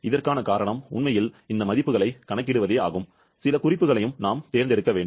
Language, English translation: Tamil, The reason for this is actually for calculating this values, some reference has to be chosen